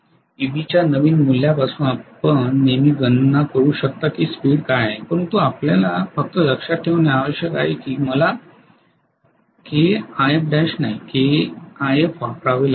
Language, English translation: Marathi, So from the new value of Eb you can always calculate what is the speed but only thing you have to remember is I have to use K times IF dash not K times IF right